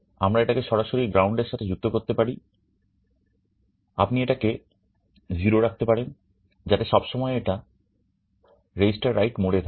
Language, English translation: Bengali, We can directly connect it to ground you can make it 0 so that, it is always in the register write mode